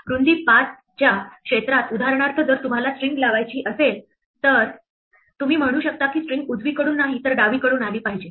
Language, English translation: Marathi, In a field of width 5 for example, if you want to put a string you might say the string should come from the left, not from the right